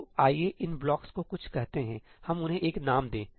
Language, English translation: Hindi, So, let us call these blocks something, let us give them a name